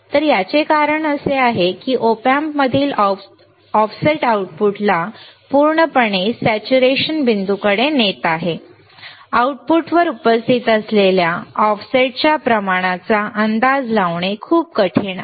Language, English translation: Marathi, So, the reason is this is because the offset in this Op Amp is driving the output to a completely saturated point it is very difficult to estimate the amount of offset present at the output right